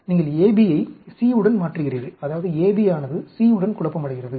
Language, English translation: Tamil, You replace A B with C, that means, A B is confounded with C